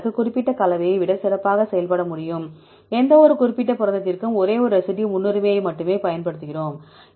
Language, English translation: Tamil, This case it can perform better than the specific composition, just we use only one residue preference for any particular protein